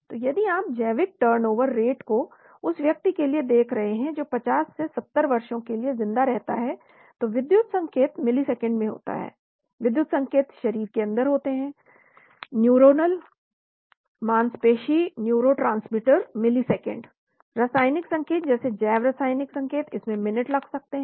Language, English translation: Hindi, So if you look at biological turnover rates say for a person who lives for say 50 to 70 years , electrical signal is happened in milliseconds, electrical signals is inside the body , neuronal muscular neurotransmitters milliseconds, chemical signals like biochemical signals it takes minutes